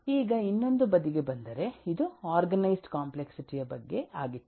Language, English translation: Kannada, let us take a look into the organized complexity